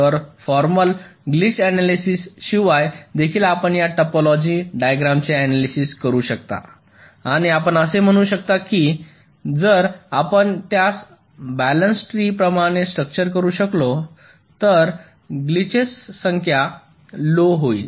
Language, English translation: Marathi, so even without a formal glitch analysis, you can analyze this circuit in terms of this topology, the structure, and you can say that if we can structure it in a way where it is like a balance tree, glitches will be less in number